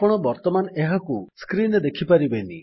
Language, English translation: Odia, You cannot see it on the screen right now